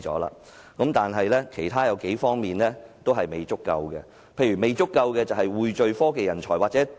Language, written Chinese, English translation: Cantonese, 然而，政府在其他方面的工作卻仍嫌不足，例如匯聚科技人才。, However government effort in other areas is still inadequate for example pooling together technology talent